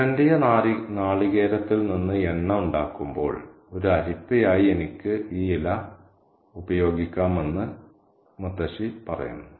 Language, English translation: Malayalam, She says that I can use this leaf as a strain as a sieve when I make oil out of scraped coconut kernel